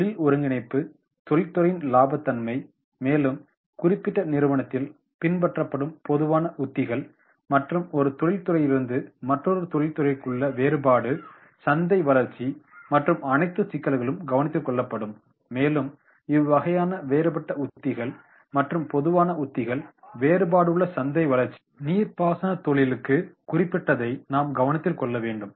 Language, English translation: Tamil, Tips are examples include industry consolidation, profitability of the industries then the general strategies which are adopted in to this particular organization, differentiation from the one industry to the another then the market growth and all these issues that will be taken into consideration and then if this type of this different strategies are there general strategy differentiation market growth then that specific to the irrigation industry we have to note down